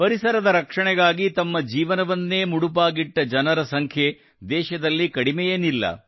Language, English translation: Kannada, There is no dearth of people in the country who spend a lifetime in the protection of the environment